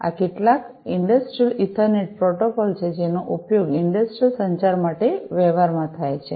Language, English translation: Gujarati, These are some of the Industrial Ethernet protocols that are used in practice in for industrial communication